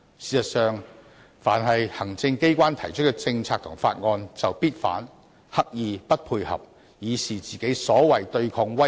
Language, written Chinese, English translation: Cantonese, 事實上，凡是行政機關提出的政策和法案，非建制派議員必定反對，刻意"不配合"，以示他們"對抗威權"。, In fact non - establishment Members are bound to oppose any policies and bills introduced by the executive authorities . To show that they are against authoritarianism they deliberately refuse to coordinate with the executive authorities